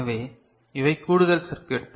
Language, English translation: Tamil, So, these are additional circuitry